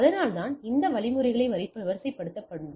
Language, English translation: Tamil, So, that is why you need to deploy some mechanisms